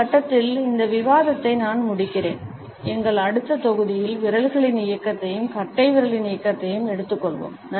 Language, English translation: Tamil, I would close this discussion at this point, in our next module we will take up the movement of the fingers as well as thumb